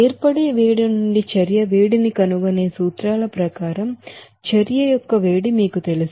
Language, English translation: Telugu, Now as for you know that heat of reaction according to that principles of finding out the heat of reaction from the heat of formation